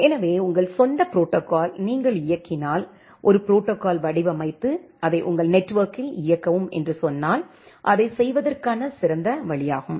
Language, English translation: Tamil, So, if you run your own protocol if you say design a protocol implement it and make a run on a on your network, so that is the best way to do